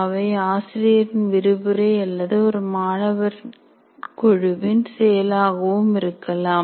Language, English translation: Tamil, And there could be an instructor's lecture or the activities of a group of students